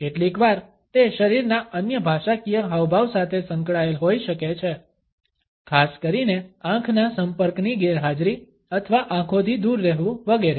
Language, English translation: Gujarati, Sometimes, it can be associated with other body linguistic gestures, particularly the absence of eye contact or averted eyes, etcetera